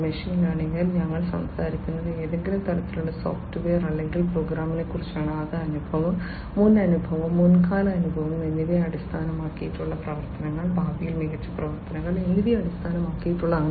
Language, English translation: Malayalam, In machine learning, we are talking about some kind of a software or a program, which based on the experience, previous experience, past experience will take actions, better actions in the future